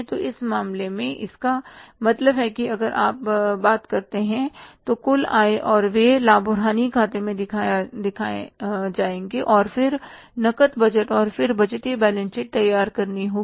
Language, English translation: Hindi, So, it means in this case if you talk about so the total income and expenses will be shown in the profit and loss account and then we will have to prepare the cash budget and then the budgeted balance sheet